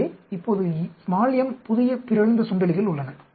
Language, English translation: Tamil, So now there are m new mutant mice